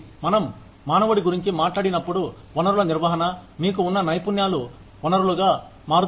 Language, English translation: Telugu, When we talk about human resources management, the skills that you have, become the resource